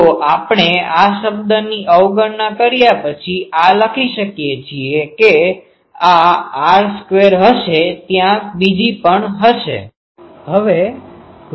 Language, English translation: Gujarati, So, we can write this after neglecting this term that; this will be r square along there will be another one